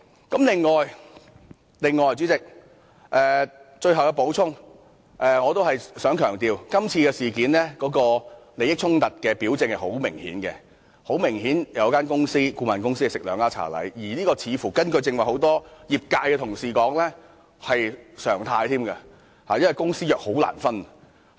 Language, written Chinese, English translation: Cantonese, 此外，主席，最後要補充一點，我想強調在今次事件中，利益衝突的表徵甚為明顯，有一間顧問公司"吃兩家茶禮"，而根據很多屬該業界的同事剛才所說，這更是常態，因為公私營機構的合約難以分開處理。, I wish to emphasize that in this incident the sign of a conflict of interest is rather obvious . A consultancy simultaneously accepted two offers of engagement . According to the remarks made just now by many Honourable colleagues belonging to that industry this is just a norm because it is difficult to handle the contracts of public and private organizations separately